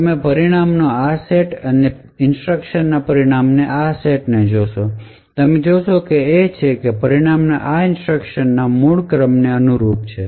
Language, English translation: Gujarati, So, you look at this set of results or the results of these instructions and what you notice is that the results correspond to the original ordering of these instructions